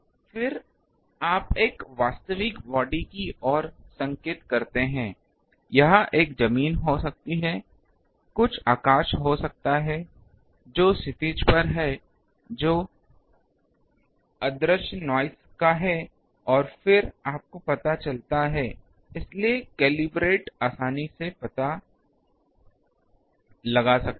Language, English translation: Hindi, Then, you point to an actual body may be a ground, may be a some the sky which is at horizon which is of invisible noise and then you find out, so a calibrated one can easily find out